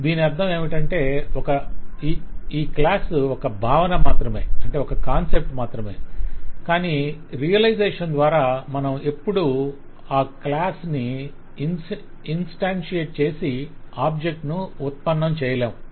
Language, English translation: Telugu, What it means is this class only has a concept, but in the realization we will never actually instantiate the class and create objects